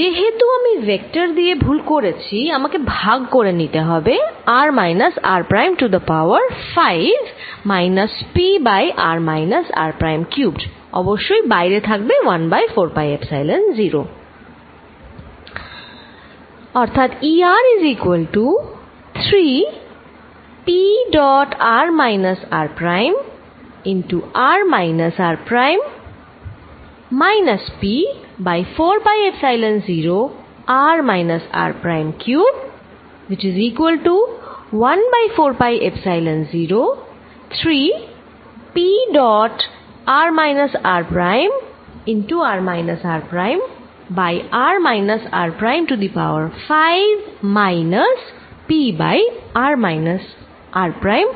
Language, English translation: Bengali, Since, I have multiplied by the vectors I will divide by r minus r prime raise to 5 minus p over r minus r prime cubed of course, there is a 1 over 4 pi Epsilon 0 outside